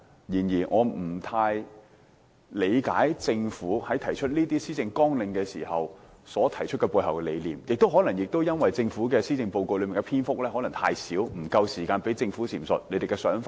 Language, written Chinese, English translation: Cantonese, 然而，我不太理解政府這些施政綱領背後的理念，可能因為受施政報告篇幅所限，不足以讓政府闡述其想法。, However I do not quite understand the concepts of the Government underlining these Policy Agenda items . May be the Government cannot elaborate its idea given the limited space in the Policy Address